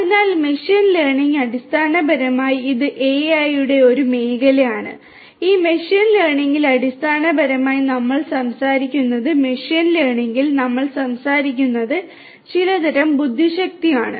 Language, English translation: Malayalam, So, machine learning basically you know it is a field of AI and this machine learning basically you know what we are talking about in machine learning is to derive some kind of you know intelligence, some kind of intelligence to be derived, right